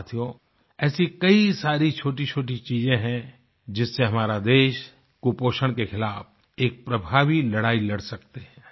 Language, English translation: Hindi, My Friends, there are many little things that can be employed in our country's effective fight against malnutrition